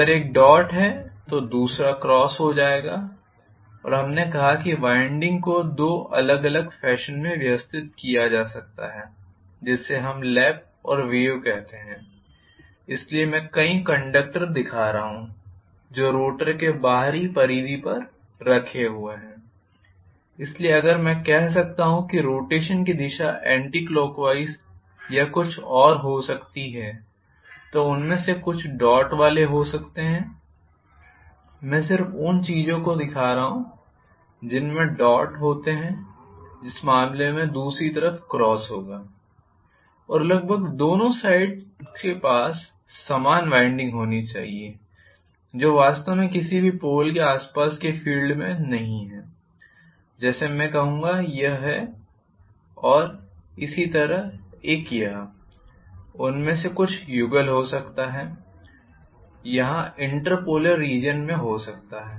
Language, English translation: Hindi, If one is dot the other one will be cross and we said the winding could be arranged in two different fashion which we called as lap and wave so, I am showing multiple number of you know the conductors that are placed on the outer periphery of the rotor, so if I may say may be the direction of rotation is anticlockwise or something, then I am going to have may be some of them having dot I am just showing these things having dots in which case the other side will be having cross this is of it is going to be